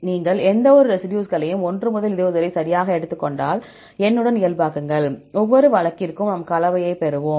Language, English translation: Tamil, If you take each residues right 1 to 20, normalize with the n, for each case then we will get the composition